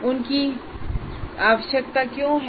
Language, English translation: Hindi, And why are they required